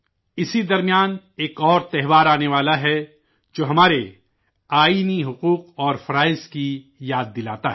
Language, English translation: Urdu, Meanwhile, another festival is arriving which reminds us of our constitutional rights and duties